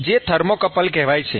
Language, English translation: Gujarati, So you could use a thermocouple